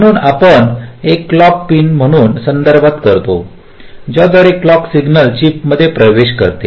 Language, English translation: Marathi, through which the clock signal enters the chip, so we refer to as a clock pin